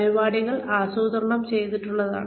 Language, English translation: Malayalam, The programs are planned